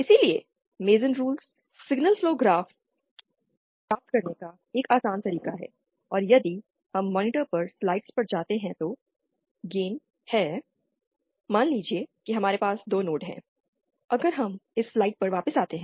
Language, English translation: Hindi, So, MasonÕs rules are somewhat of an easier way of achieving implementation of signal flow graphs and if we go to the slides on the on the monitor then the gain that isÉ Suppose we have 2 nodes, if we can come back to the slides on the on the writing slides